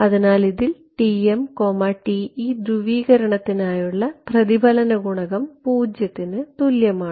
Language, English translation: Malayalam, So, I am going to get this equal to 0 the reflection coefficient for TM and TE polarization